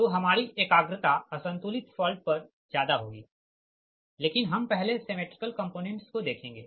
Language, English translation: Hindi, so our concentration will be more on unbalanced fault and, before that, symmetrical component